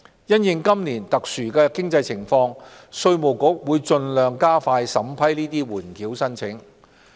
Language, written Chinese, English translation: Cantonese, 因應今年特殊的經濟情況，稅務局會盡量加快審批緩繳申請。, In view of the unusual economic circumstances this year IRD will do its best to expedite the vetting of holdover applications